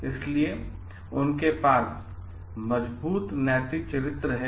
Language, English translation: Hindi, So, they have strong ethical character